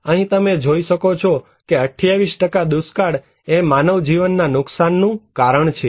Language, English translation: Gujarati, Here you can see that 28%, drought is the reason of human loss in 28%